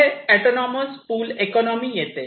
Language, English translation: Marathi, Next comes autonomous pull economy